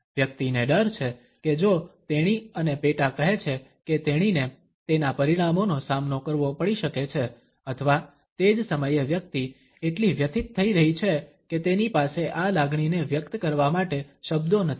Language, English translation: Gujarati, The person is afraid that if she and sub saying that she may have to face repercussions of it or at the same time the person is feeling so distressed that she does not have words to vocalise this feeling